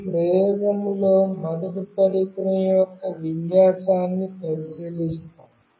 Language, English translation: Telugu, In this experiment firstly will look into the orientation of the device